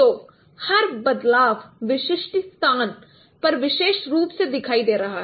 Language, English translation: Hindi, So each pattern in a location will be uniquely identified this location